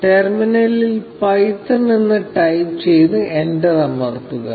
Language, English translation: Malayalam, Type python in the terminal and press enter